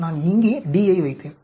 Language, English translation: Tamil, So, I put my d here